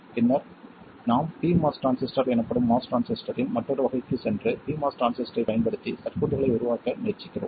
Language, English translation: Tamil, Then we go to another variety of MOS transistor known as P MOS transistor and try to make circuits using the P MOS transistor